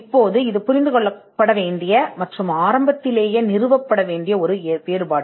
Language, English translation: Tamil, Now, this is a distinction that is important to be understood and to be established at the outset